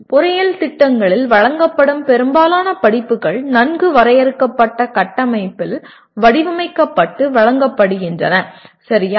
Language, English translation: Tamil, Most of the courses offered in engineering programs are designed and offered in a well defined frameworks, okay